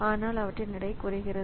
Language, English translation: Tamil, So, but their weights are decreasing